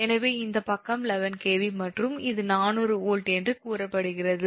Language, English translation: Tamil, so this side is eleven kv and this side is, say, four hundred volt